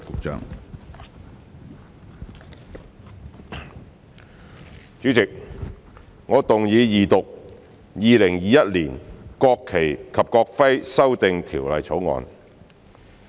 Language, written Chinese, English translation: Cantonese, 主席，我動議二讀《2021年國旗及國徽條例草案》。, President I move the Second Reading of the National Flag and National Emblem Amendment Bill 2021 the Bill